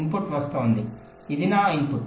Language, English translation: Telugu, the input is coming, this my input